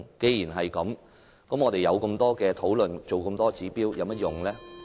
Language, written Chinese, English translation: Cantonese, 既然如此，我們進行這麼多討論，制訂這麼多指標又有何用？, That being the case what is the point of us trying to hold so many discussions and formulate so many indicators? . numbers